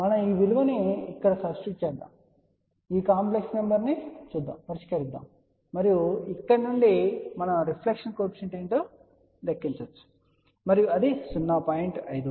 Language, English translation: Telugu, We substitute this value over here, solve these complex numbers and from here we can calculate what is the reflection coefficient and that comes out to be 0